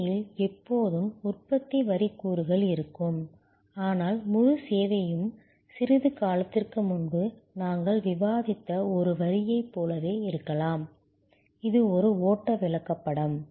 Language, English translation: Tamil, And there will be always production line components in the service, but the whole service maybe very much like a line that we discussed a little while back, it is a flow chart